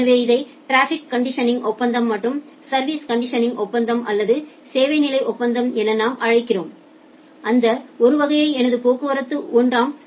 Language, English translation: Tamil, So that we call as the traffic conditioning agreement and the service conditioning agreement or the service level agreement is that well I am purchasing that class 1 my traffic is in class 1